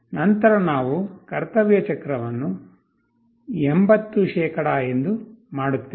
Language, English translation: Kannada, Then we make the duty cycle as 80%